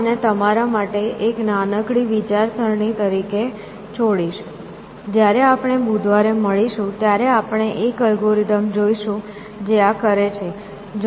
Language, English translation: Gujarati, So, I will leave this as a small thinking exercise for you, when we meet next on Wednesday, we will look at an algorithm, which does this